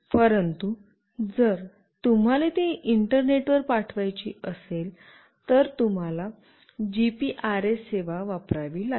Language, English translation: Marathi, But, if you want to send it through to internet, then you have to use the GPRS service